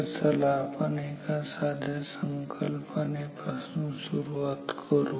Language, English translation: Marathi, So, let us begin with very simple idea